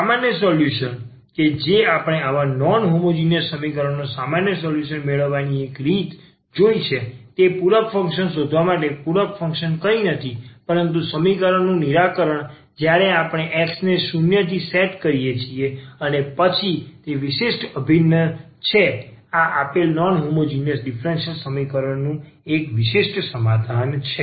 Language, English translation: Gujarati, And the general solution what we have seen the one way of getting the general solution of such a non homogeneous equation is to find the complimentary function; the complimentary function is nothing, but the solution of this equation when we set this X to 0 and then the particular integral that is one particular solution of this given non homogeneous differential equation